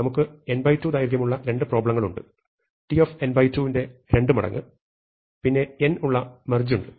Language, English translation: Malayalam, So, we have two problems of size n by 2, 2 times of t of n by 2 and then we have a merge of n